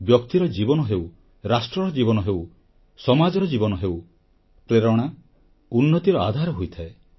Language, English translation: Odia, Whether it is the life of a person, life of a nation, or the lifespan of a society, inspiration, is the basis of progress